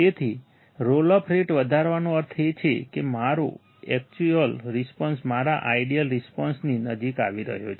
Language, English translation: Gujarati, So, increasing the roll off rate means, that my actual response is getting closer to my ideal response